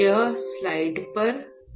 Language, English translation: Hindi, So, let us see here on the slide